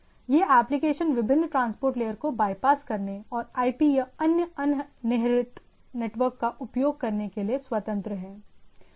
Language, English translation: Hindi, This application is free to bypass different transport layer, different transport layers and to strictly use IP and other thing